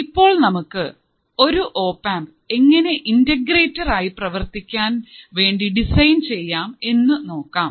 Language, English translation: Malayalam, So, let us see how you can design an opamp to work it as an integrator